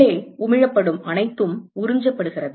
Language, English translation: Tamil, Whatever is emitted inside is also absorbed